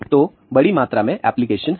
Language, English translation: Hindi, So, there are a huge amount of applications